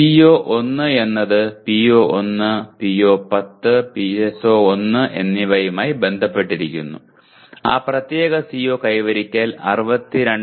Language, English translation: Malayalam, CO1 is associated with PO1, PO10 and PSO1 and the CO attainment that particular CO attainment is 62